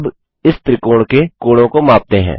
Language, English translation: Hindi, We see that the angles are measured